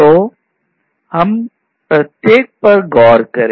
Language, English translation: Hindi, So, we will look into each of these